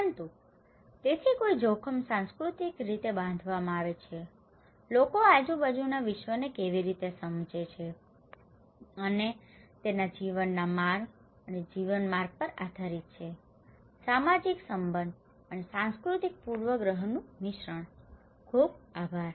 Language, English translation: Gujarati, But so risk is culturally constructed, how people perceive and act upon the world around them depends on the way of life and way of life; a combination of social relation and cultural bias, thank you very much